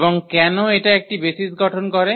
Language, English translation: Bengali, And why this form a basis